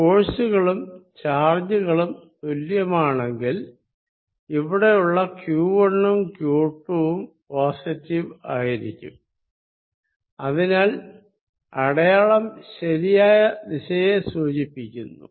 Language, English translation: Malayalam, If the forces are, if the charges are the same, then the q 1 and q 2 this out here is going to be positive and therefore, the sign gives the right direction